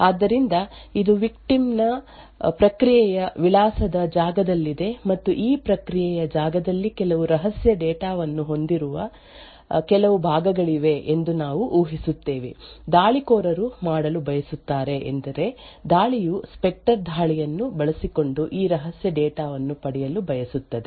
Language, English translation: Kannada, So the set up in the variant 2 is as follows we have a victim's address space so this is in an process address space off the victim and what we assume is that there is some portions of within this process space which has some secret data so what the attackers wants to do is that the attack a wants to actually obtain this secret data using the Spectre attack